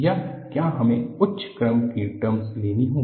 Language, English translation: Hindi, Or, do we have to take higher order terms